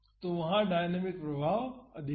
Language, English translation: Hindi, So, the dynamic effects are more there